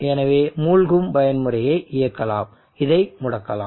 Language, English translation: Tamil, So you can enable the sinking mode this can be enable this can be disable